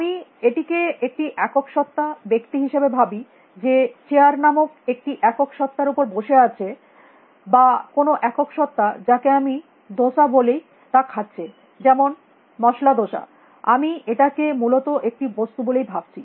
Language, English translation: Bengali, I think of it as a single entity a person who is sitting on a single entity called a chair or eating a single entity which is I call a dosa some masala dosa; for example, I think of it as one thing essentially